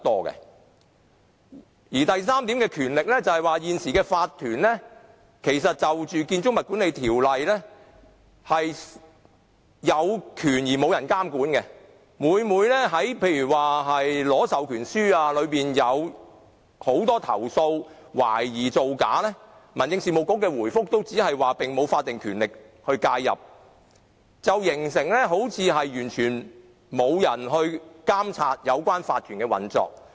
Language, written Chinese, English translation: Cantonese, 關於法團的權力，根據《建築物管理條例》，現時法團有權而沒有人監管，例如有很多投訴懷疑有關法團在獲取授權書方面涉及造假，但民政事務局的回覆往往只表示它並無法定權力介入，好像完全沒有人能監察有關法團的運作。, On the powers of an OC under the Building Management Ordinance now an OC holds powers without being monitored . For example there are many complaints about OCs being suspected of forgery in obtaining power of attorney but the Home Affairs Bureau often merely replies that it does not have any statutory power to intervene . It seems no one can monitor the operation of OCs